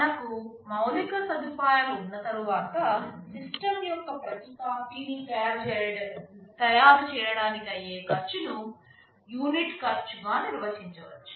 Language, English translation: Telugu, After we have that infrastructure, what is the cost of manufacturing every copy of the system, which you define as the unit cost